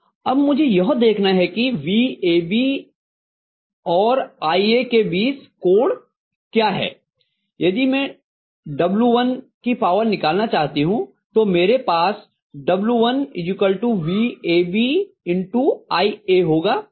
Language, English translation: Hindi, Now, I have to look at what is the angle between VAB and IA if I want to get the power of W1, so I am going to have W1 equal to VAB IA, this is 30 degrees, right